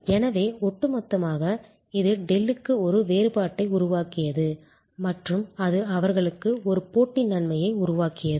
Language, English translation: Tamil, And therefore, on the whole it created a differentiation for Dell and it created a competitive advantage for them